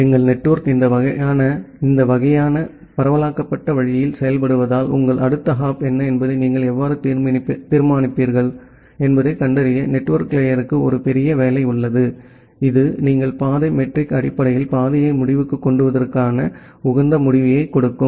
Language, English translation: Tamil, Because our network works in this kind of decentralized way, the network layer has a huge job to find out that how will you decide that what is your next hop, which will give you the optimal end to end path based on the path metric that you have chosen